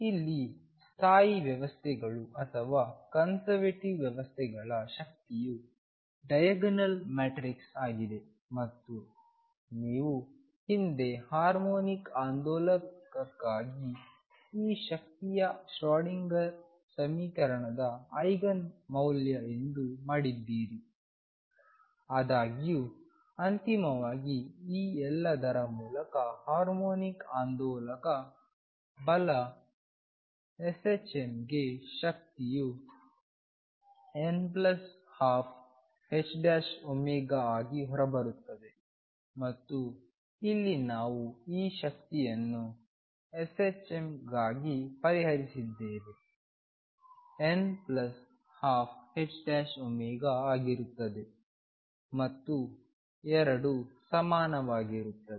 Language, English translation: Kannada, Here the energy for stationary systems or conservative systems is diagonal matrix and you have done that in the past for harmonic oscillator here the energy is Eigen value of Schrödinger equation; however, through all this finally, the energy for harmonic oscillator right s h m comes out to be n plus a half h cross omega and here also we have solved this energy for s h m comes out to be n plus a half h cross omega and the 2 are equivalent